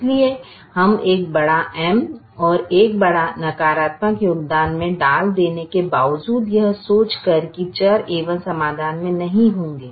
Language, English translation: Hindi, so we are, in spite of us putting a big m and putting a large negative contribution, thinking that the variable a one will not have be in the solution